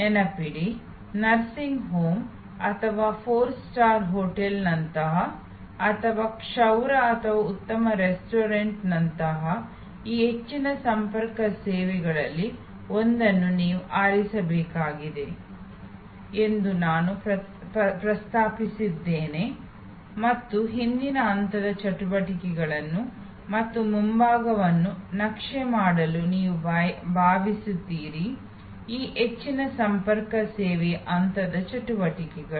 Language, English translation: Kannada, Remember, I had mentioned that you have to choose one of these high contact services, like a nursing home or like a four star hotel or like a haircut or a good restaurant and you are suppose to map the back stage activities as well as the front stage activities of this high contact service